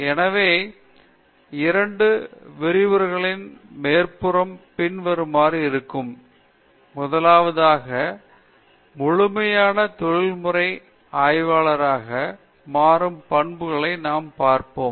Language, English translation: Tamil, So, the outline of the two lectures will be as follows: first, we will see what are the attributes of becoming a fully professional researcher